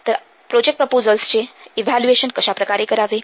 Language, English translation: Marathi, So how to evaluate the project proposals